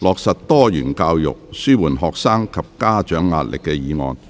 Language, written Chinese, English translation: Cantonese, "落實多元教育紓緩學生及家長壓力"議案。, The motion on Implementing diversified education to alleviate the pressure on students and parents